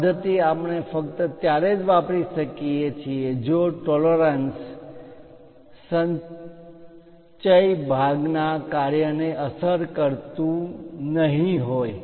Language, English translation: Gujarati, This method we can use it only if tolerance accumulation is not going to affect the function of the part